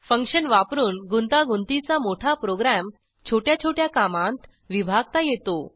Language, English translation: Marathi, * It is used to break up a complex program into separate tasks